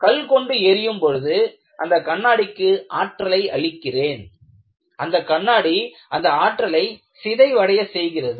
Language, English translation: Tamil, By putting a stone, I have pumped in energy to this glass and glass has to dissipate the energy